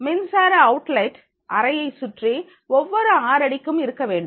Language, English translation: Tamil, Electrical outlets outlet should be available every six feet around the room